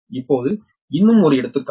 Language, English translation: Tamil, now take one example